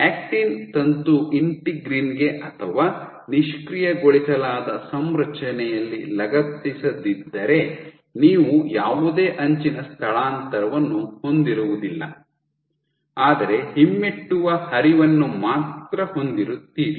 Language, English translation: Kannada, So, if the actin filament is not attached to the integrin or in the disengaged configuration you will not have any edge displacement but you will only have retrograde flow